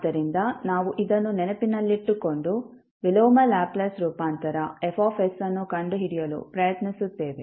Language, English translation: Kannada, So, we will keep this in mind and try to solve the, try to find out the inverse Laplace transform, Fs